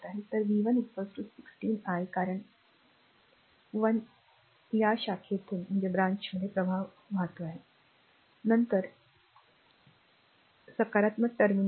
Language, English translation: Marathi, So, v 1 is equal to 16 i, 1 because is current flowing through this branch , then is a entering into the positive terminal